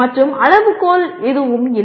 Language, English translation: Tamil, And there is no criterion, okay